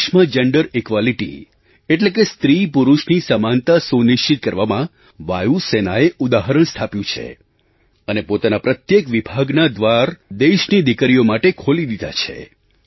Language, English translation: Gujarati, The Air Force has set an example in ensuring gender equality and has opened its doors for our daughters of India